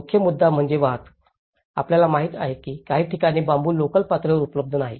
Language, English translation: Marathi, The main issue is the transport, you know like in certain places bamboo is not locally available